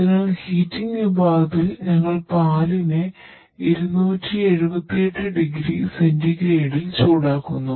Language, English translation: Malayalam, Hence in the heating section, we are heating the milk 278 degree centigrade